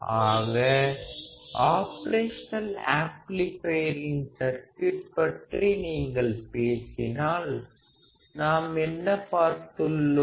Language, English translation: Tamil, So, when you talk about operational amplifier circuits; what have we seen